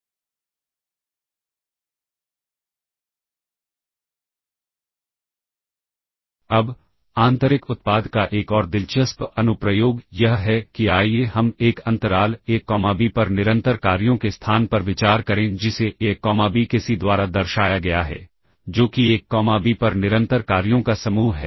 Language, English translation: Hindi, Now another interesting application of inner product is let us consider the space of continuous functions on an interval a comma b denoted by C of a comma b, that is the set of continuous functions on a comma b, on interval a comma b